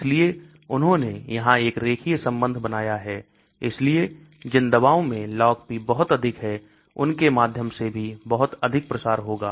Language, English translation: Hindi, So they have drawn a sort of a linear relationship here, so drugs which have very high Log P will also have very high diffusion through that